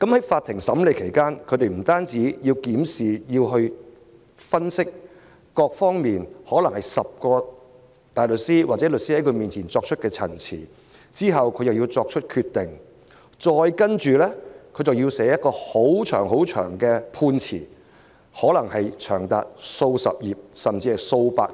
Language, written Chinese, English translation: Cantonese, 在法庭審理案件期間，法官不但要檢視和分析各方面的資料，可能有10名大律師或律師在他面前作出陳辭，又要作出決定，接着還要撰寫冗長的判詞，可能長達數十頁，甚至數百頁。, During the trial the judge not only has to examine and analyse information in various aspects but also has to listen to the representations of 10 or more barristers or solicitors make decision and finally write a lengthy judgment ranging from a few pages to more than 100 pages